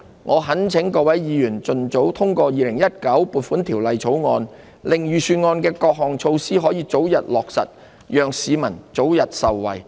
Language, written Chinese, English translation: Cantonese, 我懇請各位議員盡早通過《2019年撥款條例草案》，令預算案的各項措施得以早日落實，讓市民早日受惠。, I implore Members to pass the Appropriation Bill 2019 expeditiously for the early implementation of the various measures set out in the Budget so that the public can be benefited early . I so submit